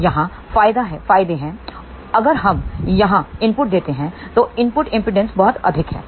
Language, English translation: Hindi, So, here the advantages, if we give input here input impedance is very high